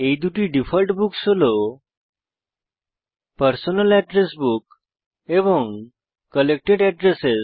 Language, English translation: Bengali, This is in addition to the two default books, that is, Personal Address Book and Collected Addresses